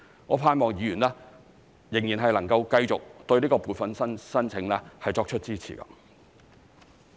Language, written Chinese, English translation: Cantonese, 我盼望議員仍然能夠繼續對撥款申請作出支持。, I hope that Members will continue to support the funding application